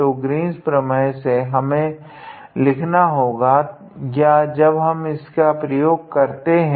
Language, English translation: Hindi, So, by Green’s theorem we have to write or when we have been use